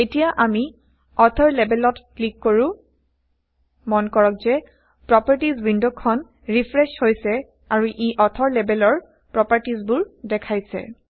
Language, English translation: Assamese, Now let us click on the label author, notice that the Properties window refreshes and shows the properties of label Author